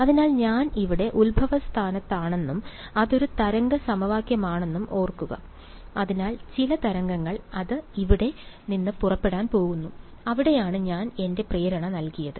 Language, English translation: Malayalam, So, remember I am at the origin over here and it is a wave equation, so some wave it is going to go out from here that is where I have put my impulse